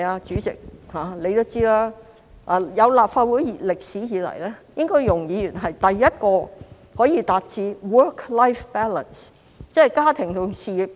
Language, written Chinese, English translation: Cantonese, 主席也知道，立法會成立多年以來，容議員應該是第一位可以達致 work-life balance 的議員。, President as you also know since the establishment of the Legislative Council over the years Ms YUNG is the first Member who can achieve work - life balance